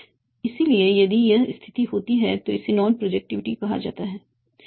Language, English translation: Hindi, And if, so if this situation happens, this is called non projectivity